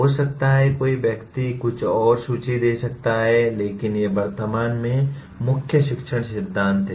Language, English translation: Hindi, There can be, one can maybe list some more but these are the present day dominant learning theories